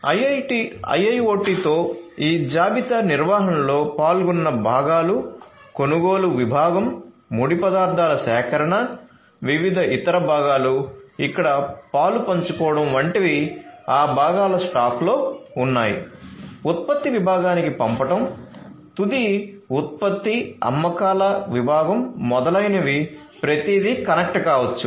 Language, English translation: Telugu, So, with IIoT all these different things the components that are involved in this inventory management such as, this you know the purchasing department, the raw materials procurement, different other components getting involved there you know they are stocking of those components etcetera, sending to the production department, finished product sales department etcetera everything can become connected